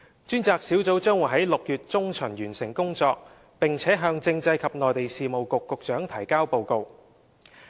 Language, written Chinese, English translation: Cantonese, 專責小組將於6月中旬完成工作，並向政制及內地事務局局長提交報告。, The Task Force which is going to have its work completed by mid - June will submit a report to the Secretary for Constitutional and Mainland Affairs